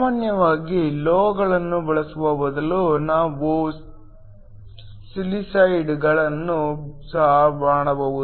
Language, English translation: Kannada, Usually, instead of using metals we can also silicides